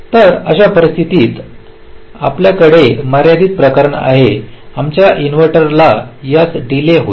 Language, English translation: Marathi, ok, so there are situations and the limiting case you can have this will be our inverter delay this much